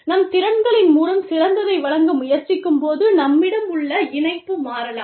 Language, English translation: Tamil, When we are trying to give the best, through our skills, the affiliation we have, can change